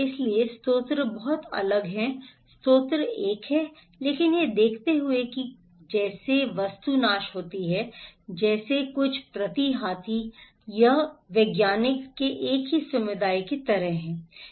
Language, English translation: Hindi, So, the source is very different, source is one, but looking at that as object is perish like some per is elephant it’s like one community of scientists